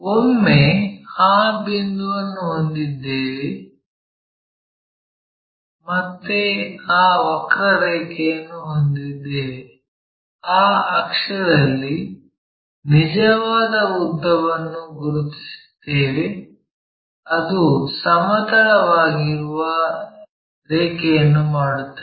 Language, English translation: Kannada, Once, we have that point, we have that curve again we locate a true length on that axis, which makes a horizontal line